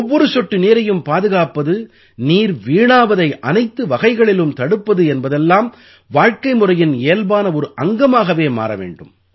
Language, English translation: Tamil, Saving every drop of water, preventing any kind of wastage of water… it should become a natural part of our lifestyle